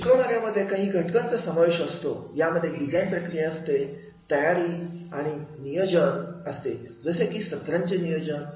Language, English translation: Marathi, Teaching has always involved some elements of the design in the process of the preparation and planning like session plans